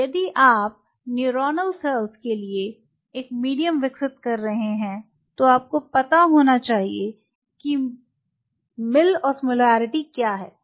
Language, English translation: Hindi, So, if you are developing a medium for the neuronal cells, then you should know that what is the mill osmolarity